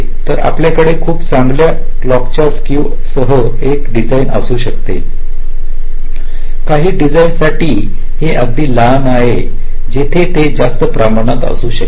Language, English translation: Marathi, so you can have a design with a very good clock skew, very small for some designs where it can be significantly higher